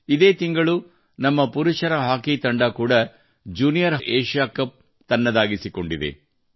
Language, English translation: Kannada, This month itself our Men's Hockey Team has also won the Junior Asia Cup